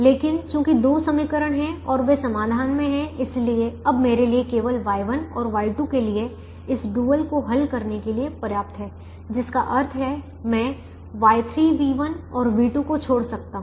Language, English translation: Hindi, but since there are two equations, they are in the solution and therefore it is now enough for me to solve this dual only for y one and y two, which means i can leave out y three, v one and v two